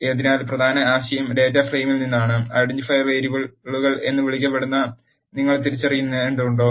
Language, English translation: Malayalam, So, the key idea is from the data frame, you have to identify what are called identifier variables